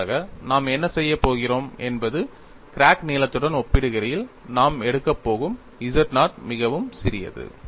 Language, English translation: Tamil, For that, what we are going to do is, we are going to take z naught, it is very, very small, in comparison to the crack length